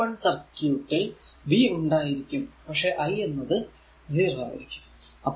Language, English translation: Malayalam, So, for open circuit v is there, but i is 0, right